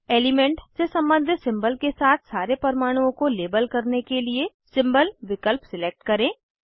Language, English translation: Hindi, Select Symbol option to label all the atoms with the symbol corresponding to the element